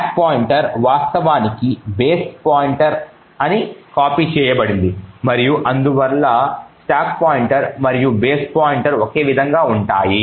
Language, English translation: Telugu, The stack pointer is in fact copied to be base pointer and therefore the stack pointer and the base pointer are the same